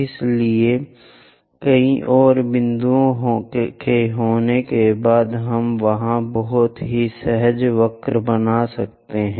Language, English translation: Hindi, So, having many more points, we will be going to have a very smooth curve there